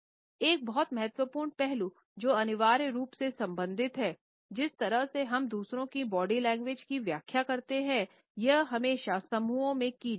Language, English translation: Hindi, A very important aspect which is essentially related with the way we interpret body language of others is that it is always interpreted in clusters